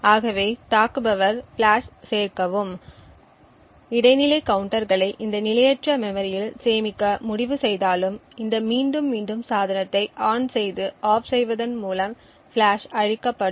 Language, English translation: Tamil, Thus, even if the attacker decides to add flash and store the intermediate counters in this non volatile memory the flash would get destroyed by this repeated turning on and turning off the device